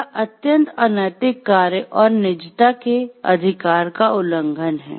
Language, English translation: Hindi, This is highly unethical practice and violation of right to privacy